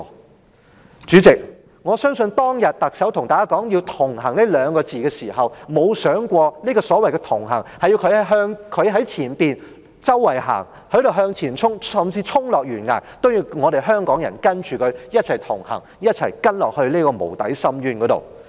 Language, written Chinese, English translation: Cantonese, 代理主席，我相信特首當天對大家說"同行"這二字的時候，她沒有想過所謂的"同行"，是她走在前方向前衝，甚至衝落懸崖，也要香港人跟隨她一起同行，跟她走向無底深淵。, Deputy President I believe when the Chief Executive told us about her idea of We Connect back then it had never occurred to her that she would connect with us in a way that she is walking in the front and charging ahead and even when she is going to plunge down the cliff she wants Hong Kong people to follow her in heading towards a bottomless abyss . I would like Members to know just one thing